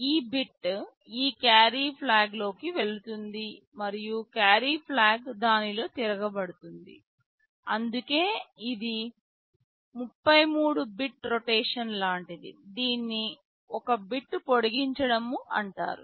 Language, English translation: Telugu, This bit will go into this carry flag and carry flag will get rotated in it, that is why this is something like a 33 bit rotation, this is called extended by 1 bit